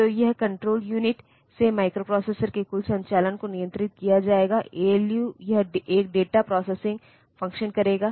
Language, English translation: Hindi, So, out of that this control unit will control the total operation of the microprocessor, ALU will perform a data processing function